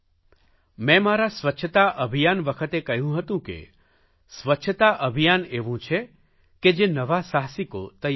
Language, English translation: Gujarati, I had told about my cleanliness campaign that it will create new entrepreneurs